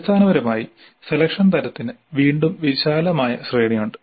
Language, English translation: Malayalam, So basically the selection type again has a wide range